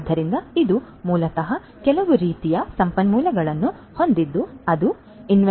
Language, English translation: Kannada, So, it is basically some kind of resource having some economic value that is going to be managed in inventory management